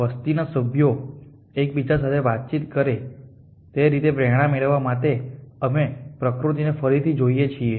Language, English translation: Gujarati, We look at nature again to get inspiration from different way that the members of the population interact with each other